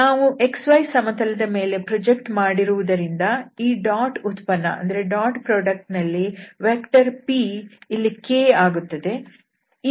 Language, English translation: Kannada, So we have projected on this X Y plane, therefore we have to also multiply this dot product with the vector p which is k here